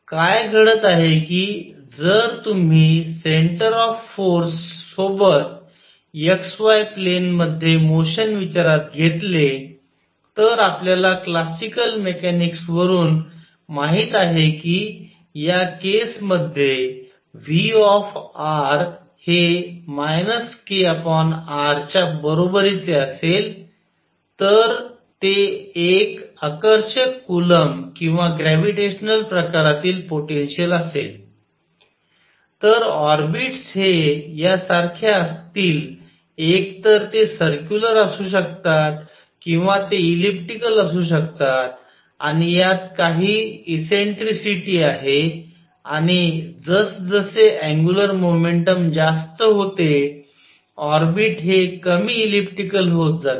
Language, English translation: Marathi, What is happening is that if you consider the motion in the x y plane with centre of force, we know from classical mechanics that in this case if V r is equal to minus k over r that is it is an attractive coulomb or gravitation kind of potential, then the orbits are like this either they could be circular or they could be elliptical and this has some eccentricity and larger the angular momentum less elliptical is the orbit